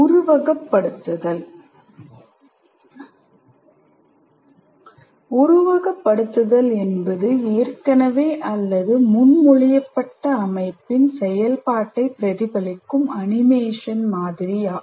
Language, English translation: Tamil, A simulation is an animated model that mimics the operation of an existing or proposed system